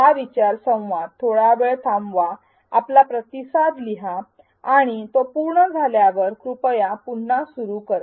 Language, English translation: Marathi, Pause this learning dialogue write your response and when you are done please resume